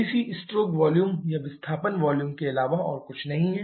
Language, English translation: Hindi, The cc is nothing but the stroke volume or displacement volume